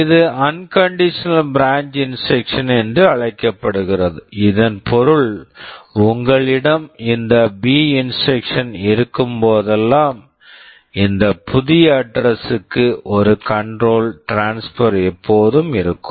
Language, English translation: Tamil, This is called unconditional branch instruction meaning that whenever you have this B instruction, there will always be a control transfer to this new address